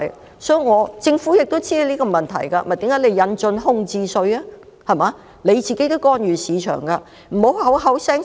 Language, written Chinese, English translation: Cantonese, 其實，政府亦知道這個問題，這就是為何要引進空置稅的原因，政府自己亦干預市場。, In fact the Government is also aware of this problem and this is the reason why a vacant property tax is introduced . The Government itself intervenes in the market as well